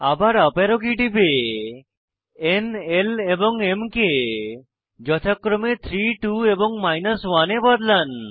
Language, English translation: Bengali, Press up arrow key again and edit n, l and m to 3 2 and 1